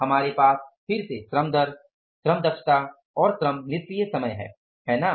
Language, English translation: Hindi, So, we have again labour rate, labour efficiency and labour idle time